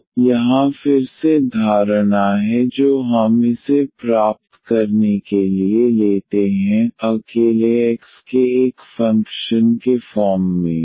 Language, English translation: Hindi, So, again further assumption here which we take to get this I as a function of x alone